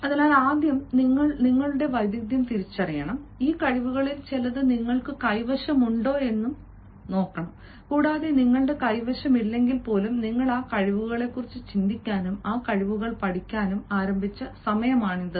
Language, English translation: Malayalam, so, first is you identify your skill, some of these skills you might be possessing, and even if you do not possess, it is time you started thinking of those skills and learning those skills